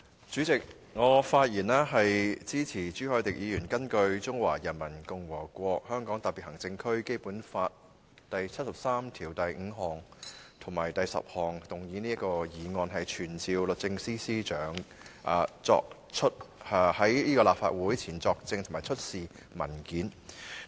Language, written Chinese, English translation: Cantonese, 主席，我發言支持朱凱廸議員根據《中華人民共和國香港特別行政區基本法》第七十三條第五項及第七十三條第十項動議的議案，傳召律政司司長到立法會席前作證，以及出示文件。, President I rise to speak in support of the motion moved by Mr CHU Hoi - dick pursuant to Article 735 and Article 7310 of the Basic Law of the Hong Kong Special Administrative Region of the Peoples Republic of China to summon the Secretary for Justice to testify before the Legislative Council and to produce the documents